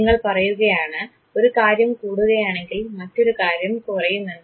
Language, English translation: Malayalam, You say that if one thing increases other thing decreases